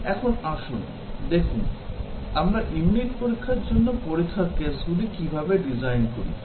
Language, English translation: Bengali, Now, let us see, how we design test cases for unit test